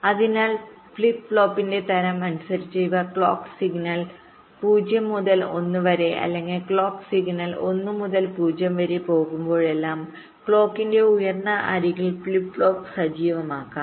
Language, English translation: Malayalam, so depending on the type of flip flop, these ah flip flop can be activated either at the rising edge of the clock, whenever the clock signal goes from zero to one, or whenever the clock signal goes from one to zero